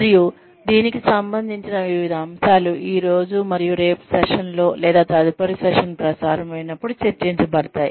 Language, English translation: Telugu, And, various aspects to it, will be discussed in the session, today and tomorrow, or in the next session, whenever it is aired